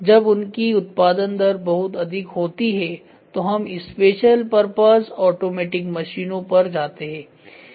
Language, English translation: Hindi, When their production rate is extremely high we go for special purpose automatic machines